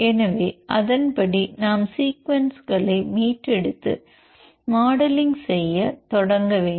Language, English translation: Tamil, So, accordingly we have to retrieve the sequence and start doing modeling